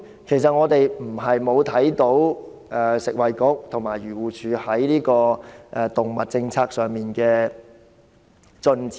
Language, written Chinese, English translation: Cantonese, 其實我們不是看不到食物及衞生局和漁護署在動物政策上的進展。, Actually we are not blind to the progress made by the Food and Health Bureau and AFCD in the policy on animals